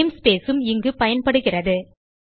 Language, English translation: Tamil, namespace is also used here